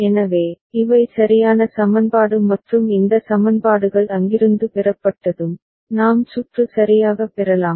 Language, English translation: Tamil, So, these are the corresponding equation right and once this equations are obtained from there, we can get the circuit right